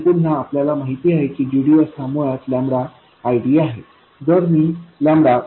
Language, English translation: Marathi, And again, we know that GDS is basically lambda ID and if I take lambda to be 0